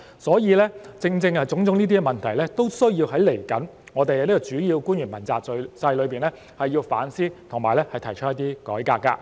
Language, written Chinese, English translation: Cantonese, 所以，正正因為這些問題，未來我們需要在主要官員問責制裏反思和提倡改革。, Hence in the light of these problems we need to reflect on and reform the accountability system for principal officials in the future